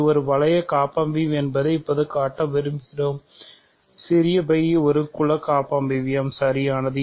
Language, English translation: Tamil, So, we want to now show that it is a ring homomorphism, small phi a is a group homomorphism right